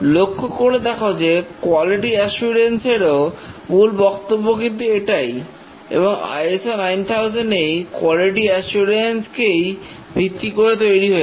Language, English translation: Bengali, You can see that this is essentially the quality assurance principle and ISO 9,000 is based on the quality assurance model